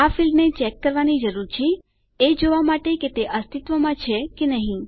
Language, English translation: Gujarati, We will need to check this field to see whether they exist or not